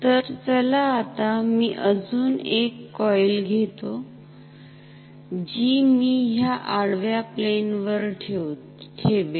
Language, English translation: Marathi, Now, let me take another coil which I will put on this horizontal plane like this